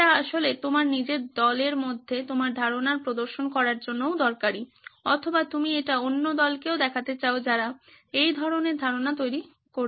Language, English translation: Bengali, Its actually also useful to represent your idea within your own team or you want to show it to another team who is also designing a similar concept